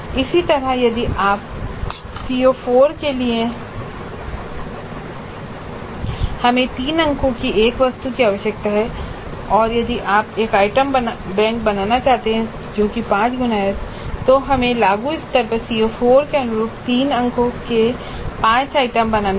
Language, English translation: Hindi, Similarly for CO4 if you see we need one item of three marks and if you wish to create an item bank which is five times that then we need to create five items of three marks each corresponding to CO4 at apply level